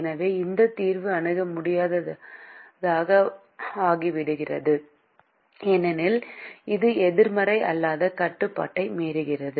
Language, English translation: Tamil, so this solution becomes infeasible because it violates the non negativity restriction